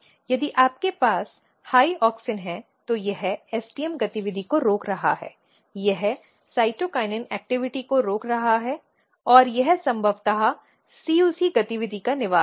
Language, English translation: Hindi, If you have high auxin, auxin is basically inhibiting STM activity there it is inhibiting cytokinin activity and it is probably inhabiting CUC activity